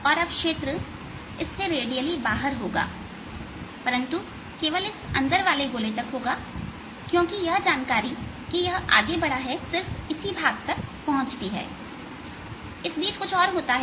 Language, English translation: Hindi, the field will be radially out from this, but only up to this inner circle, because that information that has moved reaches only this part in between